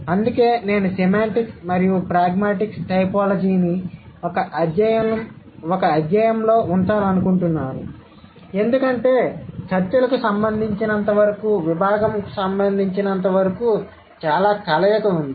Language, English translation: Telugu, So because, and that is why I would like to keep semantic and pragmatic typology in one unit because there are, there is a lot of overlapping as far as the domain is concerned as far as the discussions are concerned